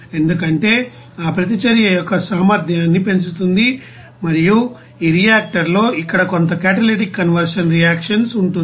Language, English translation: Telugu, Because of that you know increasing the efficiency of that reaction and there will be some catalytic conversion reaction here in this reactor